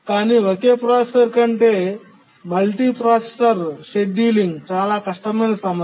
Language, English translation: Telugu, But multiprocessor scheduling is a much more difficult problem than the single processor